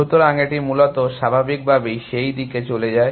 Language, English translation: Bengali, So, it basically naturally goes off on that direction